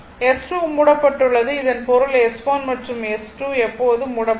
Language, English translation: Tamil, So, S 2 is closed this means S 1 and S 2 are closed forever right